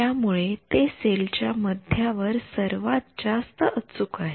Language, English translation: Marathi, So, its more accurate in the middle of the cell